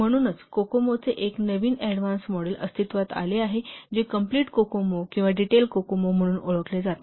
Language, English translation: Marathi, So that's why a new, so another advanced model of Kokomo, it has come into existence that is known as complete Kokomo or detailed Kokomo